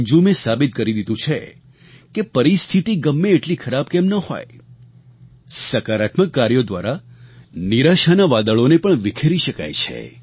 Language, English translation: Gujarati, Anjum has proved that however adverse the circumstances be, the clouds of despair and disappointment can easily be cleared by taking positive steps